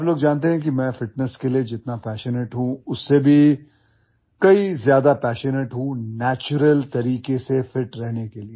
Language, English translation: Hindi, You guys know that much as I am passionate about fitness, I am even more passionate about staying fit in a natural way